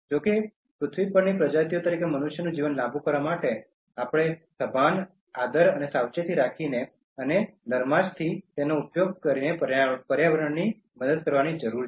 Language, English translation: Gujarati, However, in order to prolong the life of human beings as species on this Earth we need to help the environment by being mindful, respectful and careful and making gently use of it